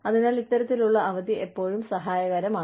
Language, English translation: Malayalam, So, it is always helpful, to have this kind of leave